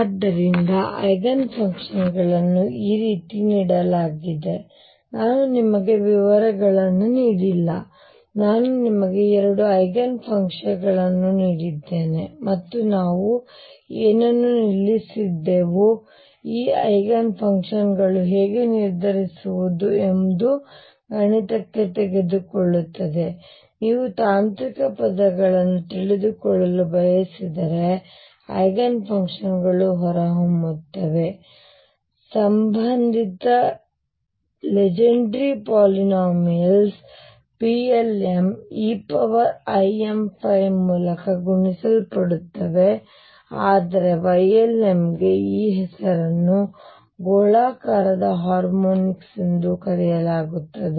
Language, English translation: Kannada, So, this is how the Eigenfunctions are given I have not given you details, I have just given you 2 Eigen functions right and that us, what it is this is where we stopped other things take us into mathematics of how to determine these Eigen functions, if you want to know the technical terms the Eigenfunctions comes out come out to be the associated Legendre polynomials P l ms multiplied by this these e raise to i m phi, but the Y l ms is have a name these are known as a spherical harmonics